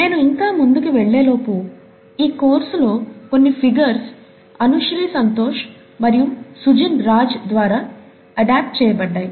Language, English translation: Telugu, Before I go forward, I should acknowledge that some of the figures in this course have been adapted by Anushree Santosh and Sujin Raj